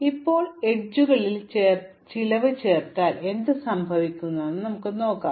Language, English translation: Malayalam, Now, we look at what happens if we add costs to the edges